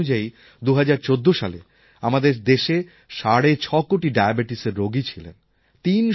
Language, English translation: Bengali, It is said that in 2014 India had about six and a half crore Diabetics